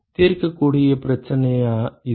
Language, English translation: Tamil, Is it a solvable problem